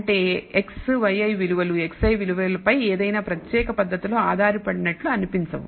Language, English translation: Telugu, That is x y i values do not seem to depend in any particular manner on the x i values